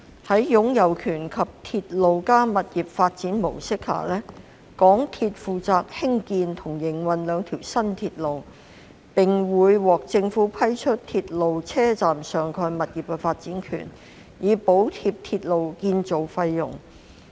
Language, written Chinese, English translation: Cantonese, 在"擁有權"及"鐵路加物業發展"模式下，港鐵公司負責興建及營運該兩條新鐵路，並會獲政府批出鐵路車站上蓋物業的發展權，以補貼鐵路建造費用。, Under the ownership approach and the Rail - plus - Property development model MTRCL is responsible for the construction and operation of the two new railways and it will be granted the development rights of the topside properties at the railway stations by the Government to subsidize the railway construction costs